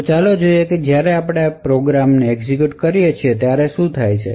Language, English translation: Gujarati, Now let us see what happens when we execute this particular program